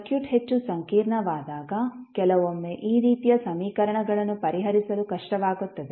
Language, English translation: Kannada, Sometimes these types of equations are difficult to solve when the circuit is more complex